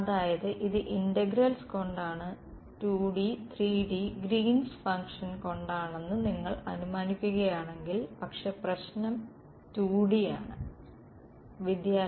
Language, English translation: Malayalam, So, this is by integral so, if you assume 2D 3D Green’s function, but the problem is 2D